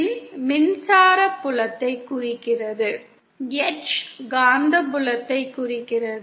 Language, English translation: Tamil, E represents the electric field, H represents the magnetic field